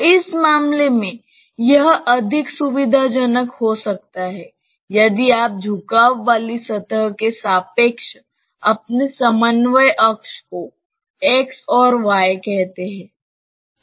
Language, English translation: Hindi, So, in this case it may be more convenient, if you fix up your coordinate axis relative to the inclined plane say x and y